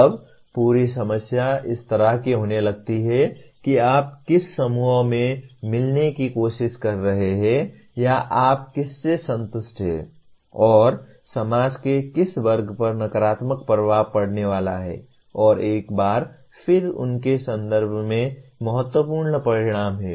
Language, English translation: Hindi, Then the whole problem becomes kind of starts becoming political in the sense interest of which group are you trying to meet or whom are you satisfying and which segment of the society is going to be negatively affected and once again they have significant consequences in a range of context